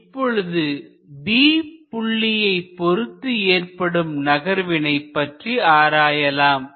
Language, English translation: Tamil, So, v at A is v, what is v at B, that v we have to write here